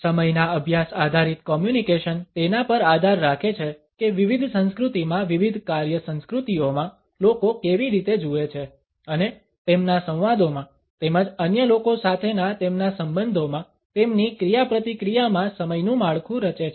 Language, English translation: Gujarati, A communication based a study of time is dependent on how people in different cultures in different work cultures perceive and structure time in their interactions with other in their dialogues as well as in their relationships with others